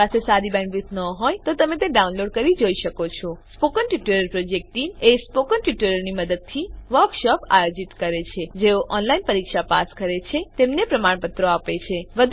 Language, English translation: Gujarati, If you do not have good bandwidth, you can download and watch it The Spoken Tutorial Project Team * Conducts workshops using spoken tutorials * gives certificates for those who pass an online test